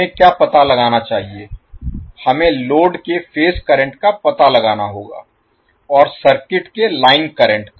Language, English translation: Hindi, What we have to find out, we have to find out the phase current of the load and the line currents of the circuit